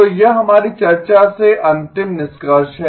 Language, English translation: Hindi, So this is the final conclusion from our discussion